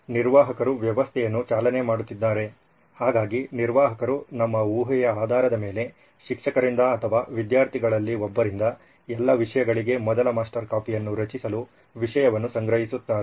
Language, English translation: Kannada, The admin is running the system, so the admin would collect the content from either the teacher based on our assumption or from student, one of the student to create the first master copy for all the subjects